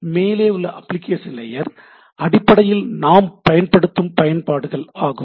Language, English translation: Tamil, So, in other sense the application layer at the top is basically the applications what we are working with